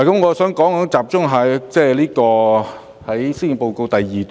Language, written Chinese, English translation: Cantonese, 我想集中說施政報告第二段。, I would like to focus on part II of the Policy Address